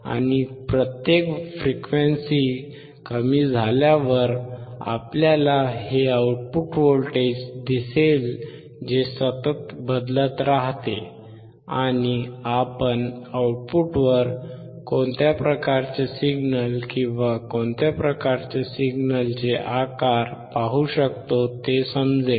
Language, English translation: Marathi, And with each decrease of frequency, we will or a step of frequency, we will see this output voltage which keeps changing, and you will see what kind of signal or what kind of the shape of signal we observe at the output